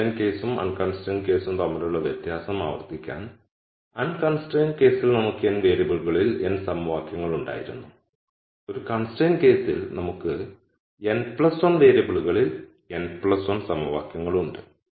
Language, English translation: Malayalam, So, I can solve this, so to reiterate the di erence between the constrained and unconstrained case was, in the unconstrained case we had n equations in n variables, in the constraint case with just one constraint we have n plus 1 equations in n plus 1 variables